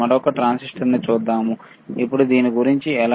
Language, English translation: Telugu, Let us see the another transistor, then how about this